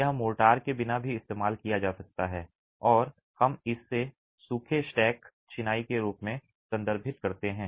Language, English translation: Hindi, It could be used even without mortar and we refer to that as dry stack masonry